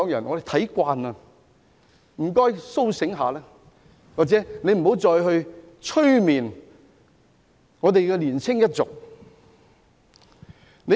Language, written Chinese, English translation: Cantonese, 我們看慣了，請他們甦醒過來，或不要再催眠香港的年輕一族。, We have got used to all this . I would like to urge them to awaken or stop hypnotizing the younger generation of Hong Kong